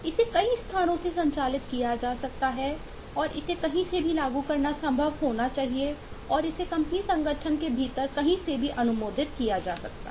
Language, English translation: Hindi, operations will assume that it can be operated access from multiple places and it should be possible to apply from anywhere and approve it from anywhere within the company organisation